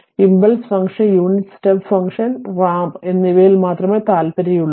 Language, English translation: Malayalam, We are only interested in impulse function, unit step function and the ramp right